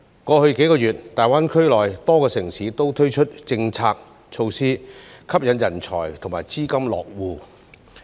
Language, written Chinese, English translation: Cantonese, 過去數月，大灣區內多個城市都推出政策措施，吸引人才和資金落戶。, In the past few months many cities in GBA have launched policies and measures to attract talents and investments to establish their bases there